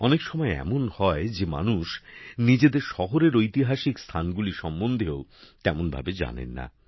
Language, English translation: Bengali, Many times it happens that people do not know much about the historical places of their own city